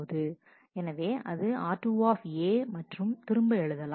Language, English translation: Tamil, So, that is r 2 A and write it back